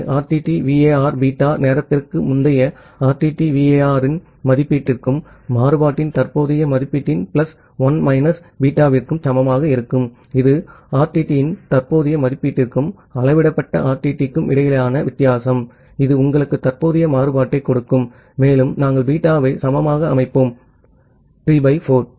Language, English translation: Tamil, So, RTTVAR will be equal to beta time previous estimation of RTTVAR plus 1 minus beta of current estimation of the variance, that is the difference between current estimation of the RTT and the measured RTT that will give you the current variance and we set beta equal to 3 by 4